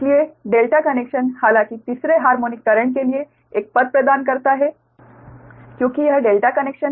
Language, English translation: Hindi, therefore, the delta connection does, however, provide a path for third, third harmonic currents to flow